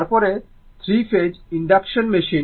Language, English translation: Bengali, Then, 3 phase induction machine